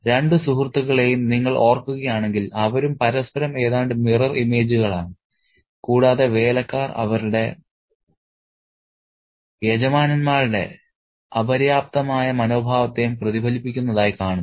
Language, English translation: Malayalam, If you recall the two friends, they are also mirror, they also almost mirror images of one another and the servants seem to mirror the lack a dynical attitude of their masters too